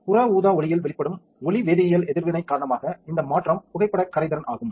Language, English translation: Tamil, The change is a changes is photo solubility due to photochemical reaction exposed to the UV light